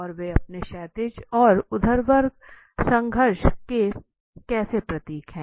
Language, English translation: Hindi, What is happening how do they manage the horizontal conflict or vertical conflict